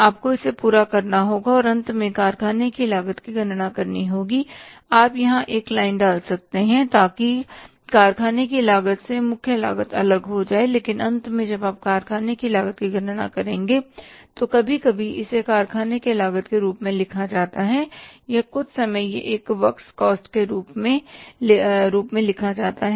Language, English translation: Hindi, You can put a line here so that segregating the prime cost from the factory cost but finally when you will calculate the factory cost sometime it is written as a factory cost or sometime it is written as a works cost